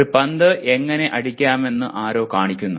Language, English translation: Malayalam, Somebody shows how to hit a ball